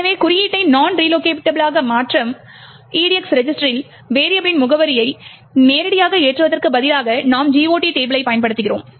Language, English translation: Tamil, Thus, we see that instead of directly loading the address of the variable into the EDX register which is making the code non relocatable, instead we use the GOT table